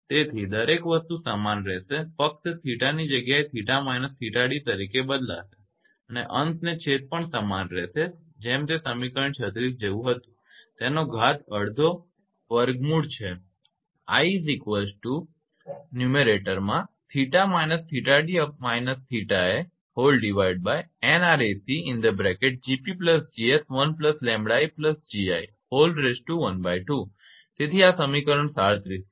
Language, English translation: Gujarati, So, everything will remain same only theta you replace by theta d it will be theta minus theta d minus theta a and numerator denominator as same as it is like equation 36 and to the power half that is square root so 37